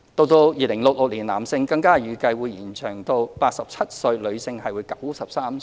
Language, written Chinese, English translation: Cantonese, 到2066年，男性更預計會延長至87歲，女性則為93歲。, By 2066 the life expectancy for male will increase to 87 and that for female will increase to 93